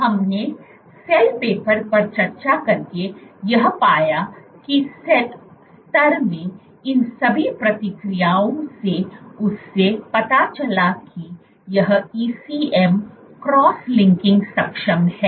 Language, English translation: Hindi, All of these responses in the cell level, what we found by discussing the cell paper we showed that this ECM cross linking is capable